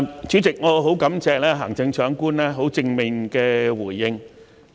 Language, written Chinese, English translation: Cantonese, 主席，我很感謝行政長官給予正面的回應。, President I very much thank the Chief Executive for giving a positive response